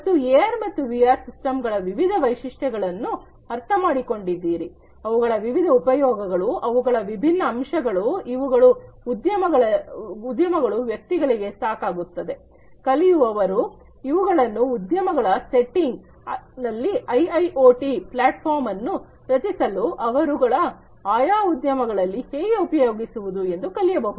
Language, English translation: Kannada, And so, this understanding about the different features of AR and VR systems, the different advantages the different aspects of it, this is sufficient for the industry persons the, you know the learners to know about how these things can be used in an industry setting to create an IIoT platform in their respective industries